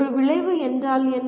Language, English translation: Tamil, And what is an outcome